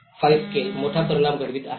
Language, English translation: Marathi, 5 scale is creating a huge impact